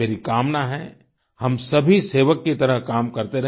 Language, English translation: Hindi, I wish we all keep working as a Sevak